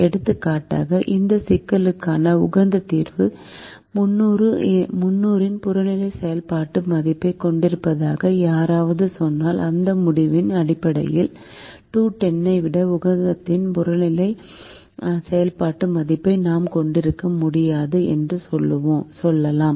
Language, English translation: Tamil, this looks like a simple result, for example, if somebody says the optimum solution to this problem has an objective function value of three hundred, then based on this result, we could say: no, we cannot have the objective function value of the optimum more than two hundred and ten